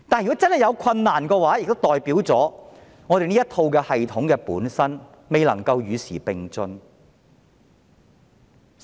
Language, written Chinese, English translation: Cantonese, 若真的有困難，代表了這套系統本身未能與時並進。, If there are difficulties this means that the system itself fails to progress with time